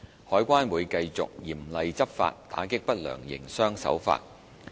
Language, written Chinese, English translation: Cantonese, 海關會繼續嚴厲執法，打擊不良營商手法。, CED will continue to take vigorous enforcement actions against unscrupulous trade practices